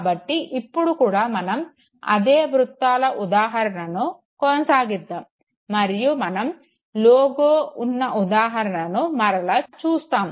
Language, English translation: Telugu, Once again we will continue with the example of circles and then again take an example of a logo